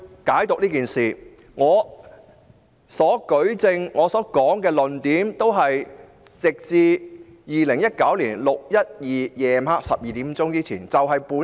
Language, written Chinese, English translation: Cantonese, 我的舉證和論述均只限於2019年6月12日晚上12時前的事。, My evidence and discussion shall only confine to the incidents that happened before midnight of 12 June